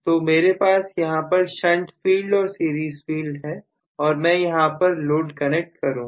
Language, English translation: Hindi, So, I have a shunt field and series field and I will connect the load here